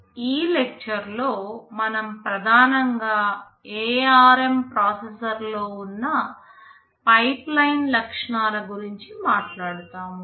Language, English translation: Telugu, In this lecture, we shall be mainly talking about the pipeline features that are present in the ARM processor